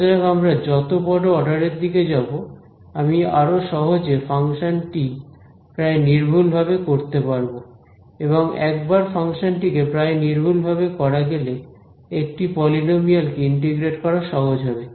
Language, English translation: Bengali, So, as I go to higher and higher order I will be able to better approximate the function and once I approximate the function integrating a polynomial is easy